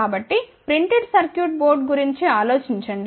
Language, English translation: Telugu, So, think about a printed circuit both